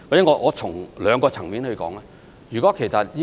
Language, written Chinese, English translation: Cantonese, 讓我從兩個層面來解說。, Let me explain it in two respects